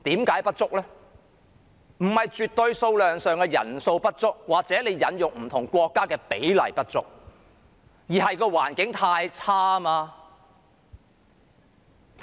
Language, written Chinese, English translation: Cantonese, 這並非絕對數量上的人數不足，或引用不同國家比例上的不足，而是環境太惡劣。, It is not a shortage of doctors in absolute numbers or in comparison with the ratio of other countries